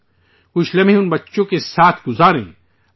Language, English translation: Urdu, And spend some moments with those children